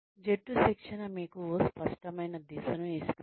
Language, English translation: Telugu, Team training gives you a clear sense of direction